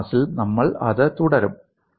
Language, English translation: Malayalam, We will continue that in the next class